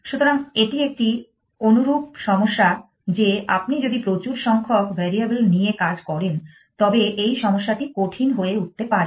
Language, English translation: Bengali, So, it is a similar problem that if you have dealing with a large number of variables then this problem could become hard